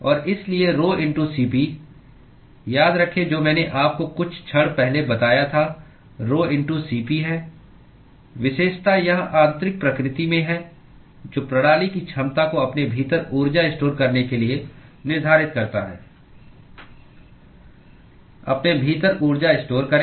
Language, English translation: Hindi, And so, rho*Cp remember what I told you a few moments ago, rho*Cp is characterizes it is in the intrinsic property that quantifies the ability of the system to store heat within itself store energy within itself